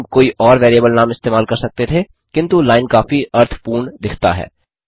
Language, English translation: Hindi, We could have used any other variable name, but line seems meaningful enough